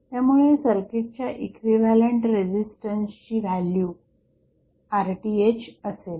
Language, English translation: Marathi, So, equivalent resistance value of the circuit is Rth